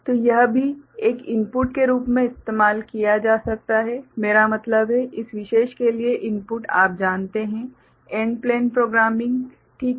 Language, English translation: Hindi, So, this can also be used as an input I mean, input for this particular you know, AND plane programming ok